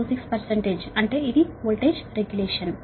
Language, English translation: Telugu, that is the voltage regulation